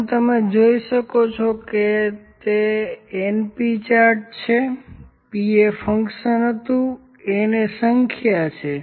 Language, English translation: Gujarati, As you can see the np chart is there, p was the fraction and n is the number